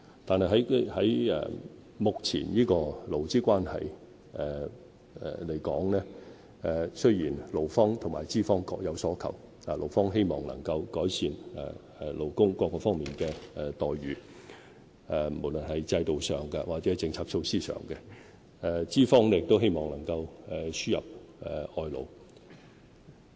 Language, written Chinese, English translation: Cantonese, 但是，就目前的勞資關係而言，勞方和資方各有所求，勞方希望能夠改善勞工各方面的待遇，無論是制度上，或是政策措施上；資方則希望能夠輸入外勞。, However employers and employees have their respective demands with respect to the current labour relations . Employees hope that they can get better treatment in various aspects both in the system and in policy measures . Employers meanwhile hope to import workers